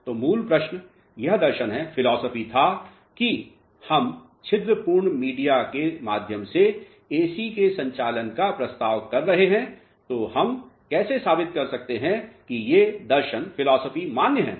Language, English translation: Hindi, So, the basic question was the philosophies which we are proposing of conduction of AC through porous media how we are going to prove that those philosophies are valid alright